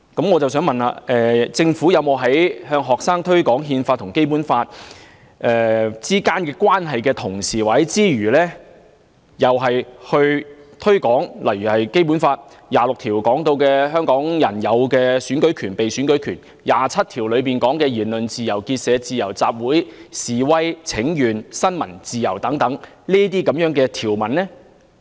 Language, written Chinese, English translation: Cantonese, 我想問局長，政府向學生推廣《憲法》和《基本法》之間的關係時，有否同時推廣例如《基本法》第二十六條提到香港人擁有的選舉權和被選舉權，以及第二十七條提到的言論自由、結社自由、集會、示威和新聞自由等條文？, I wish to ask the Secretary the following question . When the Government promoted the relationship between the Constitution and the Basic Law to students did it also promote Hong Kong peoples right to vote and to stand for election which are set out in article 26 of the Basic Law and the freedom of speech of association of assembly of demonstration and of the press which are set out in article 27?